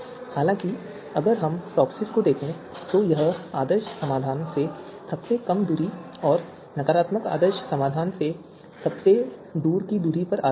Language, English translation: Hindi, However, if we look at TOPSIS it is based on the shortest distance from the ideal solution and the farthest distance from the negative ideal solution